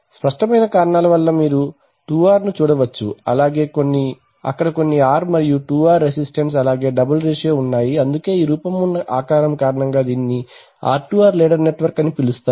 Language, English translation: Telugu, For obvious reasons you can see that 2R, 2R so there are some R and there 2R resistances there a double ratio, so that is why this is called an R2R ladder network ladder because of this form structure